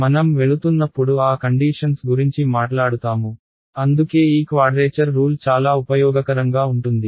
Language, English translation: Telugu, And, we will talk about those conditions as we go along ok, that is why this quadrature rule is very important useful rather ok